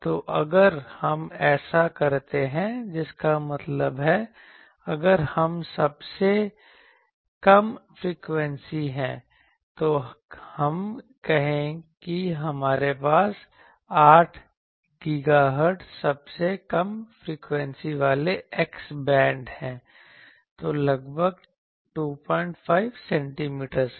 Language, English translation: Hindi, So, if we do that; that means, if we are the lowest frequency let us say that we are having X band so 8 gigahertz lowest frequency; so, roughly 2